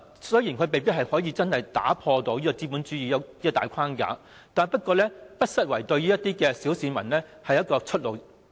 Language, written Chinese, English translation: Cantonese, 雖然墟市未必可以真正打破資本主資的大框架，但不失為小市民的出路。, Although bazaars may not necessarily be able to upset the capitalistic framework they can at least provide ordinary people with a way out